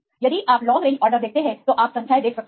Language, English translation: Hindi, If you see the long range order you can see the numbers